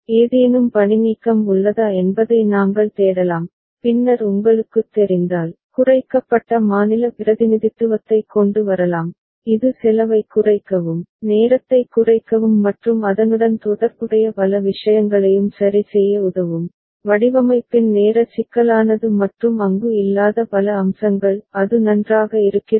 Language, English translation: Tamil, We can look for whether there is any redundancy and then, if we you know, can come up with minimized state representation that will help us in reducing cost, reducing time and many other things associated with it ok, the time complexity of the design and many other aspects that will not be there; is it fine